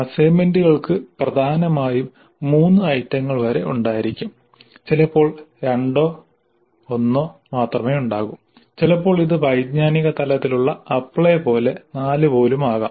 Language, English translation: Malayalam, So, assignments dominantly will have up to three items, sometimes only two or even one, sometimes it may be even four belonging to the cognitive level apply